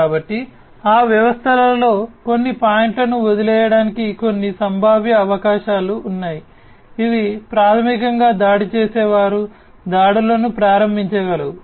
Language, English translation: Telugu, So, there are some potential possibilities of leaving some points in those systems which through which basically the attackers can launch the attacks